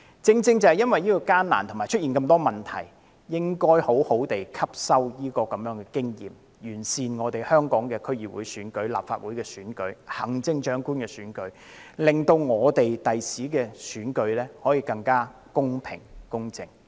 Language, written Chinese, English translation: Cantonese, 正因為過程艱難及出現了很多問題，我們更應該好好吸收今次的經驗教訓，完善香港的區議會選舉、立法會選舉及行政長官選舉，令日後的選舉可以更加公平、公正。, Precisely because of the difficulties and many problems that arose in the course of this we should all the more learn the lesson this time around to perfect the District Council Election Legislative Council Election and Chief Executive Election in Hong Kong so as to make future elections better meet the principles of fairness and impartiality